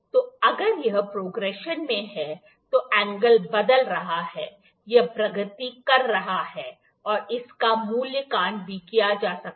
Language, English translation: Hindi, So, it is if it is in progression that angle is the changing, it is progressing, this can also be evaluated